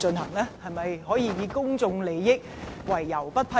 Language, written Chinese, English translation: Cantonese, 你能否以公眾利益為由不予批准？, Can you reject it on the grounds of public interest?